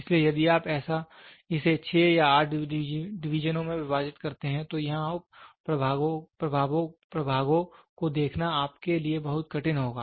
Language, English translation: Hindi, So, if you divide it into 6 or 8 divisions, so here the sub divisions will be 2 hard to you to see